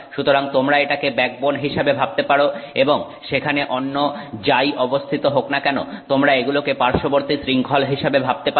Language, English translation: Bengali, So, you can think of this as the backbone and whatever else is there you can think of it as the side chain